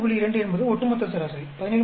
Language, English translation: Tamil, 2 is the overall average, 17